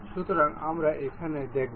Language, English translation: Bengali, So, we will see here